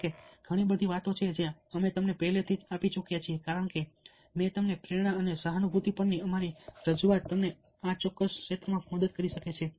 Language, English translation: Gujarati, however, many of the talks that we have already given, as i told you, ah, our fo, our, our presentation on motivation and our prop presentation on empathy, can help you in this particular area